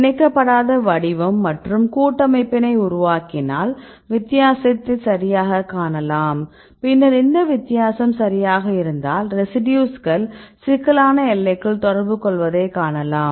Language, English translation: Tamil, So, this is the unbound form and we make the complex, you can see the difference right then if this is the difference right and then we can see that these residues are interacting right in the bound the complex